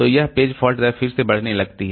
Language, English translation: Hindi, So, this page fault rate increases